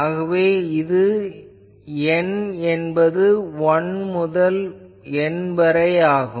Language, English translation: Tamil, Obviously, n is also 1,2 up to N